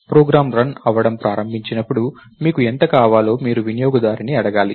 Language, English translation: Telugu, When the program starts running, you may have to ask the user how much you want